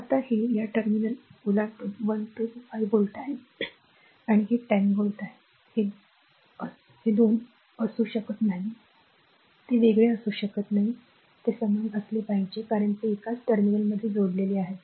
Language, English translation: Marathi, Now, this one across this terminal 1 2 this is a 5 volt and this is a 10 volt it cannot be 2 cannot be different right it has to be same because they are connected across the same terminal